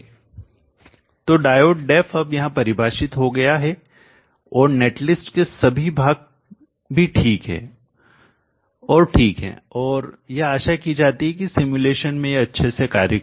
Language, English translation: Hindi, So D the diode DF is now defined here and then all the portions of the net list are fine and okay and it is supposed to execute well in the simulation